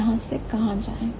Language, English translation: Hindi, Where do we go from here